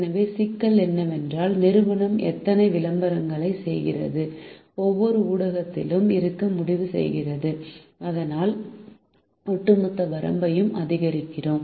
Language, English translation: Tamil, so the problem is: how many advertisements does the company decide to have in each of the media so that we maximize the overall reach